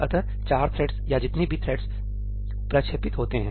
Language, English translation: Hindi, four threads or whatever number of threads get launched